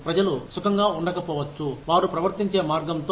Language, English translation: Telugu, People may not feel comfortable, with the way, they are being treated